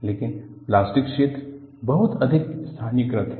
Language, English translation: Hindi, But, the plastic zone is very highly localized